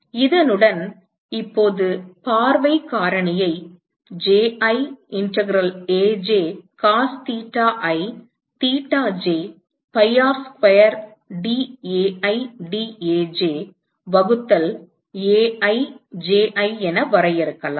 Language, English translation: Tamil, With this, we can now define the view factor as Ji integral Aj cos theta i theta j pi R square dAi dAj divided by Ai Ji